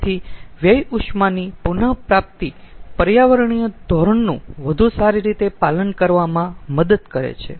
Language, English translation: Gujarati, so waste heat recovery helps in having a better compliance with the environmental standard